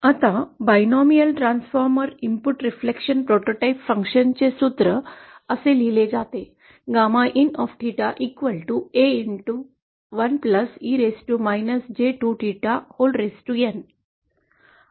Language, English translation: Marathi, Now the formula for the binomial transformer, the input reflection prototype function is written like this